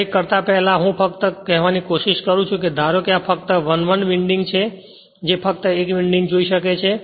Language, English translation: Gujarati, Before doing anything I am just trying to tell you suppose this is only 1 1 winding is there that you can see only 1 winding